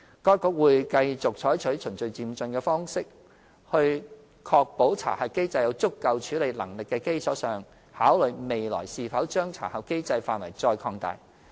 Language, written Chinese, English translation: Cantonese, 該局會繼續採取循序漸進的方式，在確保查核機制有足夠處理能力的基礎上，考慮未來是否將查核機制範圍再擴大。, The Security Bureau will continue with the gradual approach when considering further extending the scope of the SCRC Scheme on the basis that its handling capacity is ensured